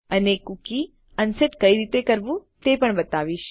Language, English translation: Gujarati, And Ill also show you how to unset a cookie